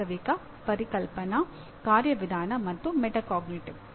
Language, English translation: Kannada, Factual, Conceptual, Procedural, and Metacognitive